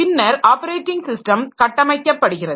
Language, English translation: Tamil, Then the operating system is structured